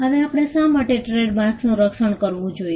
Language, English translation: Gujarati, Now, why should we protect trademarks